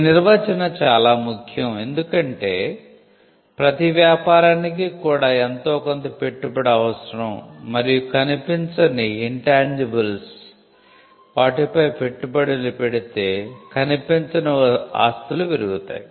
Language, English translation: Telugu, This definition is important because, every business also requires some form of investment and we saw that investment in intangible leads to intangible assets